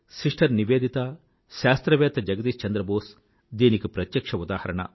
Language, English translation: Telugu, Sister Nivedita and Scientist Jagdish Chandra Basu are a powerful testimony to this